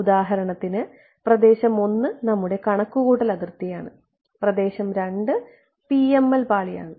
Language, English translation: Malayalam, So, for example, region 1 could be our computational domain, region 2 could be the PML layer ok